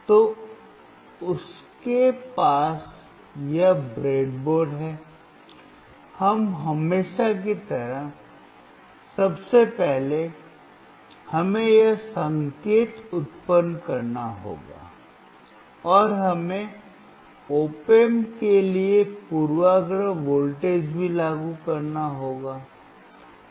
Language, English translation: Hindi, So, he has this breadboard, now as usual, first of all we have to generate this signal, and we also have to apply the bias voltage to the op amp